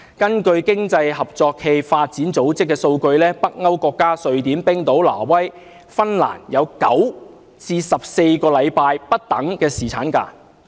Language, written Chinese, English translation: Cantonese, 根據經濟合作與發展組織的數據，北歐國家瑞典、冰島、挪威和芬蘭分別有9至14星期不等的侍產假。, According to the statistics of the Organisation for Economic Co - operation and Development Scandinavian countries such as Sweden Iceland Norway and Finland offer paternal leave of a duration ranging from 9 weeks to 14 weeks